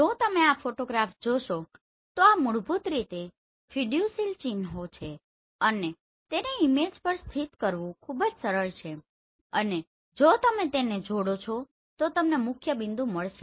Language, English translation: Gujarati, If you see this photograph these are basically fiducial marks and it is very easy to locate on the image and if you join them, you will find the principal point